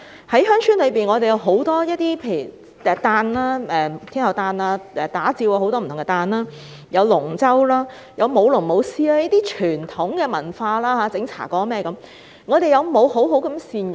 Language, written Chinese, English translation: Cantonese, 鄉村有很多傳統節日，例如天后誕、打醮等，也有扒龍舟、舞龍、舞獅、製作茶粿等傳統文化活動，我們有否好好善用？, There are many traditional festivals in rural villages such as the Birthday of Tin Hau the Da Jiu Festival etc and there are also traditional cultural activities like dragon - boat racing dragon dancing lion dancing the making of steamed glutinous rice cake etc but have we made good use of them?